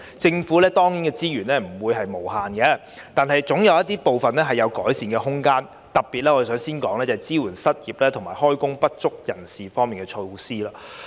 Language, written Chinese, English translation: Cantonese, 政府資源不是無限的，但部分措施仍有改善空間，特別是支援失業及就業不足人士方面的措施。, While the Governments resources are not unlimited there is still room for improvement in some of the measures especially in supporting the unemployed and underemployed